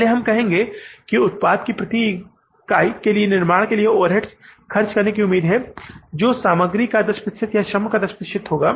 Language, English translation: Hindi, First we will say that overhead expected to be spent for manufacturing the one unit of the product will be 10% of the material or 10% of the labor